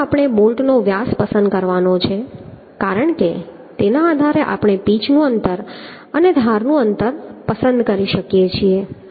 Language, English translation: Gujarati, 1st, the diameter of bolts we have to select because on that basis we can select the p distance and h distance